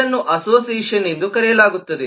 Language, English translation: Kannada, this is called association